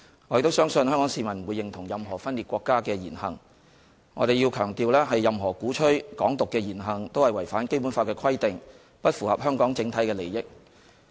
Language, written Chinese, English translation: Cantonese, 我亦相信香港市民不會認同任何分裂國家的言行，我要強調，任何鼓吹"港獨"的言行也是違反《基本法》的規定，不符合香港整體利益。, I also believe that Hong Kong people will not approve of any secession behaviour . I must emphasize that any act or statement advocating Hong Kong Independence is against the Basic Law and the overall interests of Hong Kong